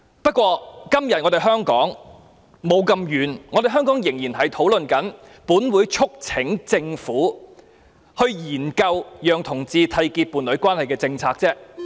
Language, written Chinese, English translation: Cantonese, 不過，今天的香港仍未走到這一步，仍只在討論"本會促請政府研究制訂讓同志締結伴侶關係的政策"。, However we in Hong Kong today have not yet gone this far and we are still debating on the subject of urging the Government to study the formulation of policies for homosexual couples to enter into a union